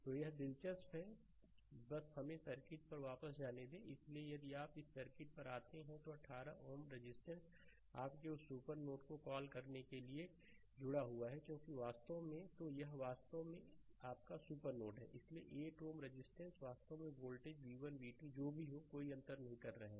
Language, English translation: Hindi, So, if you come to that this circuit that 1 8 ohm resistor is connected across the your what to call that supernode because this is actually this is actually ah this is actually your ah super node, right; so, 8 ohm resistors actually not making any any difference of the voltage v 1, v 2, whatsoever, right